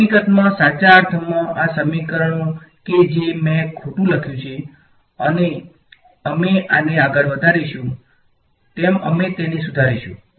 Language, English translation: Gujarati, In fact, in the strictest sense these equations that I have written a wrong and we will correct them as we go further in the course this